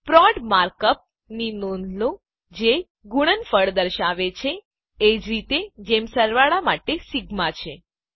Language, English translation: Gujarati, Notice the mark up prod which denotes product, similar to sigma for summation